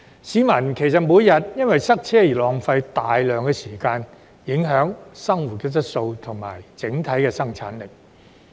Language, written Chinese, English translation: Cantonese, 市民每天因塞車而浪費大量時間，影響生活質素及整體生產力。, The daily traffic congestion costs members of the public considerable time thus affecting their quality of living and overall productivity